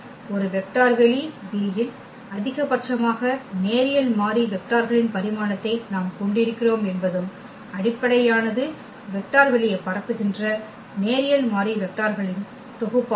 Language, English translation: Tamil, So, the conclusion is that we have the dimension which is the maximum number of linearly independent vectors in a vector space V and the basis is a set of linearly independent vectors that span the vector space